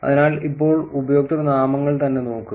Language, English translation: Malayalam, So, now look at the usernames itself